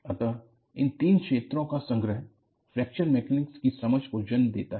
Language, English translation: Hindi, So, the confluence of these three fields, give rise to an understanding of, what is Fracture Mechanics